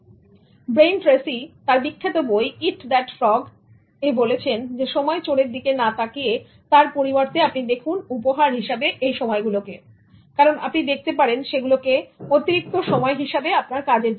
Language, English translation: Bengali, Brian Tracy in his famous book, Eat That Frog, says that instead of looking at them as time stealers, he says that you look at them as gifts of time